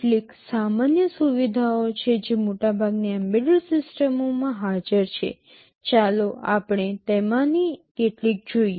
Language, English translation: Gujarati, There are some common features that are present in most embedded systems, let us look at some of them